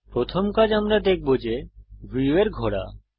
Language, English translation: Bengali, The next action we shall see is to rotate the view